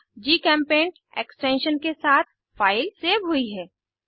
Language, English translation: Hindi, File is saved with .gchempaint extension